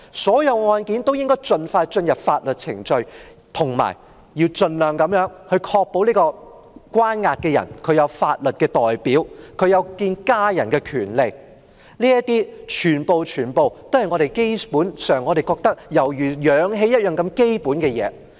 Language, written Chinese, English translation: Cantonese, 所有案件均應該盡快進入法律程序，以及盡量確保被關押的人有法律代表，有見家人的權利，這些全是我們認為如氧氣般基本的東西。, Legal proceedings should be initiated expeditiously for all cases the detainee should be guaranteed a legal representative as far as possible and have the right to meet his family . All these are just like oxygen essential